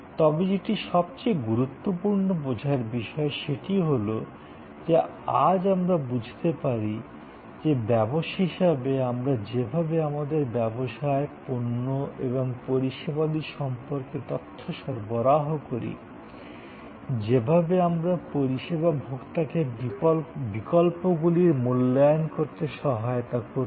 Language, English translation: Bengali, But, most important to understand is that, today we understand that as businesses, the way we provide information about our business, products and services, the way we will help, the service consumer to evaluate alternatives